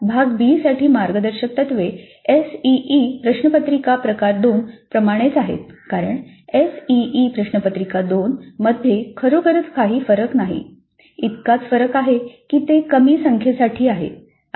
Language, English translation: Marathi, Now guidelines for Part B are absolutely same as for the ACE question paper type 2 because it is really no different from ACE question paper type 2